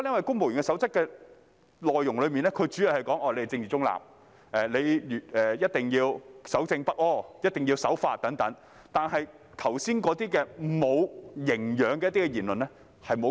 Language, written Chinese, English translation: Cantonese, 《公務員守則》的內容主要說公務員是政治中立、一定要守正不阿、一定要守法等，但卻沒有規管剛才所述"無營養"的言論。, The main contents of the Civil Service Code are that civil servants are required to uphold political neutrality integrity and the law but it does not provide for any control over the unhealthy remarks mentioned just now